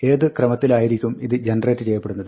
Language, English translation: Malayalam, In what order will these be generated